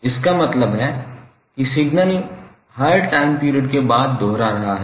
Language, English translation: Hindi, It means the signal is repeating after every time period that is capital T